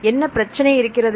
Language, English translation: Tamil, What is the problem